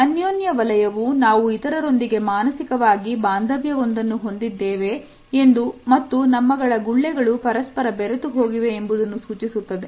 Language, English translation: Kannada, The intimate space or zone suggest that, we share the psychological bonding with other people, we are mixing the bubbles of two people